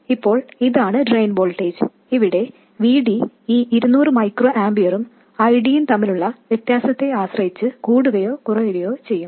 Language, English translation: Malayalam, So now this drain voltage here, VD, will increase or decrease depending on the difference between this 200 microamperors and ID